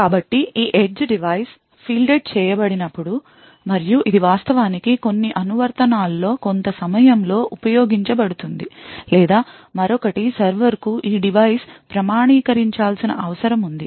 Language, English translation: Telugu, So when this edge device is fielded and it is actually used in in some applications at some time or the other the server would require that this device needs to be authenticated